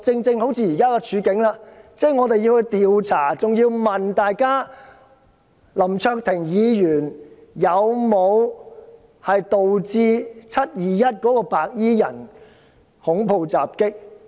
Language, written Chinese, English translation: Cantonese, 正如現在的情況，竟然有人要求調查林卓廷議員有否引致"七二一"白衣人恐怖襲擊。, As in the present situation someone has the impudence to request an investigation on whether Mr LAM Cheuk - ting had caused the terrorist attack by white - clad people on 21 July